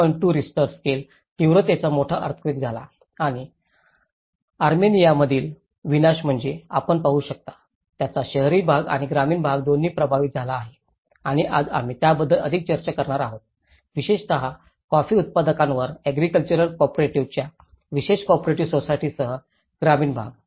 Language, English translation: Marathi, 2 Richter scale and what you can see is a devastation in Armenia, it has affected both the urban setups and as well as the rural setups and today we are going to more talk more about the rural setups especially with a particular cooperative society of agricultural cooperatives on coffee growers